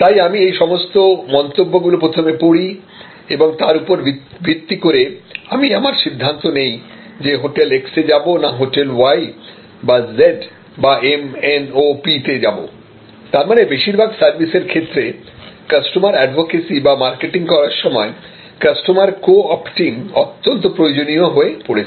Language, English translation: Bengali, So, I read those comments and based on those comments, I often make my decision for hotel x instead of hotel y or z or m, n, o, p, which means that, customer advocacy or co opting the customer for your marketing has now become almost mandatory for many, many services